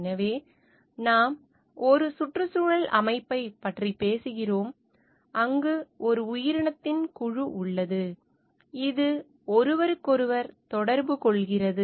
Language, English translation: Tamil, So, we talk of an ecosystem, where there is a group of organism, which interact with each other